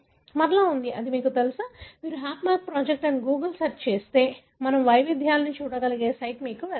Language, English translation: Telugu, Again there is, you know, if you give a Google search called HapMap project, you will go to the site where we can look into the variation